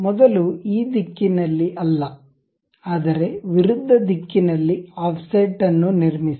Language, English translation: Kannada, First construct an offset not in this direction, but in the reverse direction